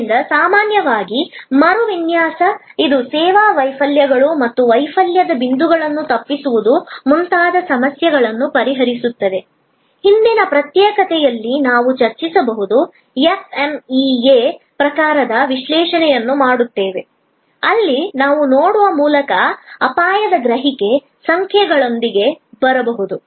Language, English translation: Kannada, So, the redesign in general, it addresses problems like service failures or avoidance of failure points, discussed in a previous secession we can do by the, doing the FMEA type of analysis, where we can come up with the risk perception number by looking at the probability of occurrence, the severity of the occurrence, probability of non deduction, etc